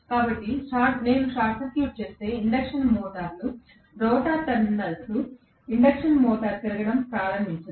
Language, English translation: Telugu, So, unless I short circuit the induction motors rotor terminals, the induction motor will not start rotating, Let us see why